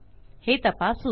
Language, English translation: Marathi, Lets check this